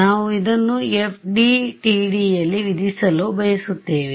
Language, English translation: Kannada, So, we want to impose this in FDTD ok